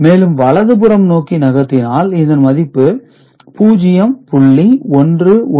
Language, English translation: Tamil, And if you shift it towards right, this was 0